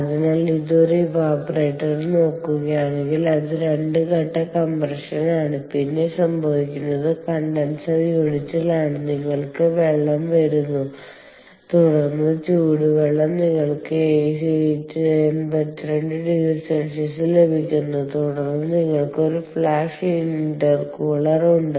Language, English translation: Malayalam, so views it in an evaporator and it is a two stage compression, ah, and then what happens is, in the condenser unit, you have water coming in and then hot water, ah, um, you can get at eighty two degree centigrade, all right